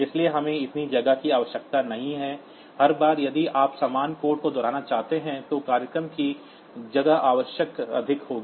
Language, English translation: Hindi, So, we do not need to have so much of space, for every time if you want to repeat the same piece of code then the space requirement of the program will be high